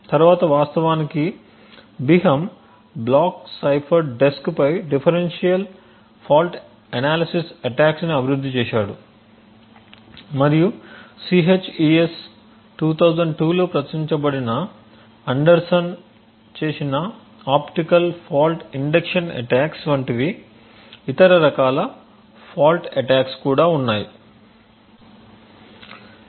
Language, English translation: Telugu, Later on, Biham actually developed differential fault analysis attack on the block cipher desk and also there were other different types of fault attack like the optical fault induction attacks by Anderson which was published in CHES 2002